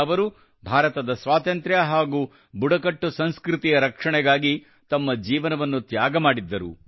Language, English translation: Kannada, He had sacrificed his life to protect India's independence and tribal culture